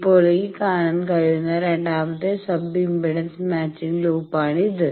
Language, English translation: Malayalam, Then this is the second sub impedance matching loop as can be seen